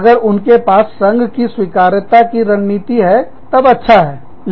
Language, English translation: Hindi, If they have a union acceptance strategy, then it is fine